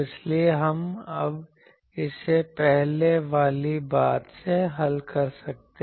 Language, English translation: Hindi, And so, we can now solve this from the earlier thing